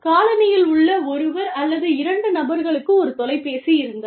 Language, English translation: Tamil, One person in the, or two people in the colony, had a phone